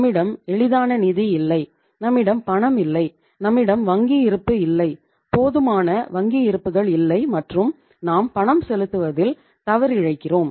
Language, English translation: Tamil, We donít have the easy finance, we donít have the cash, we donít have the bank balance, sufficient bank balances I would say and you are defaulting in making the payments